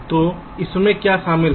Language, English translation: Hindi, so what does this involve